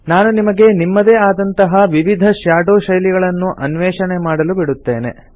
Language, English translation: Kannada, I will leave you to explore the various Shadow styles, on your own